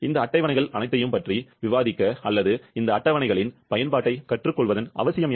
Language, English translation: Tamil, What is the need of discussing about all these tables or learning the use of these tables